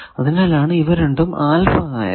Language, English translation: Malayalam, So, that is why these 2 we have made alpha